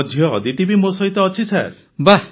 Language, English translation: Odia, My daughter Aditi too is with me Sir